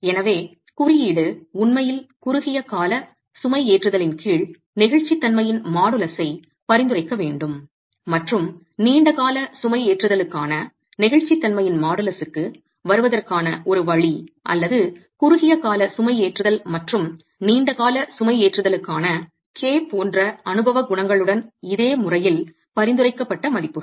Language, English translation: Tamil, So, the code should actually be prescribing the modus of elasticity under short term loading and a way of arriving at the model's velocity for long term loading or prescribe values in a similar manner with empirical coefficients such as k for short term loading and long term loading